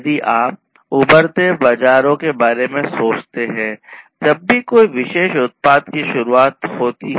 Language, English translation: Hindi, And, so, if you think about the emerging markets whenever, you know, whenever a particular product is being introduced, right